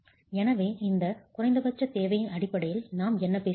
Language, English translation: Tamil, So, what are we talking of in terms of this minimum requirement